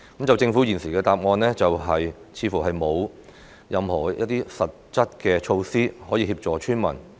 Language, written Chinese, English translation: Cantonese, 政府現時的答覆，似乎是說沒有任何實質的措施可以協助村民。, This present reply from the Government seems to say that there is not any concrete measure to help those villagers